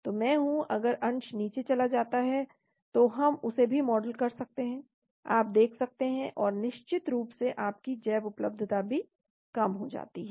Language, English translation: Hindi, So I am, if the fraction goes down we can model that also, you can see that, and of course your bioavailability also goes down